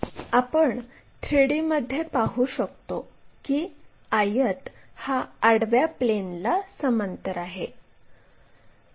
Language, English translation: Marathi, So, we have a rectangle here and this is parallel to horizontal plane